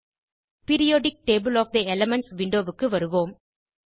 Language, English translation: Tamil, Lets go back to the Periodic table of the elements window